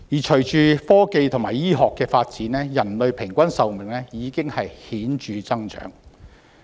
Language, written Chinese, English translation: Cantonese, 隨着科技和醫學發展，人類的平均壽命已顯著增長。, With technological and medical development the average human life expectancy has increased markedly